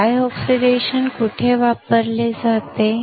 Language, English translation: Marathi, Where is the dry oxidation used